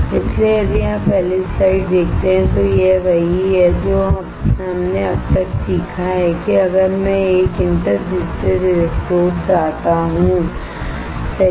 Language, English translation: Hindi, So, if you see the first slide this is what we have learned until now is that if I want to have a interdigitated electrodes right